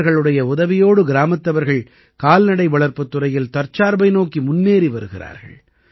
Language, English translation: Tamil, With their help, the village people are moving towards selfreliance in the field of animal husbandry